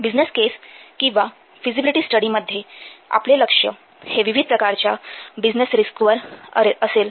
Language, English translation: Marathi, In this business case of the feasibility study, our focus will be on the different business risks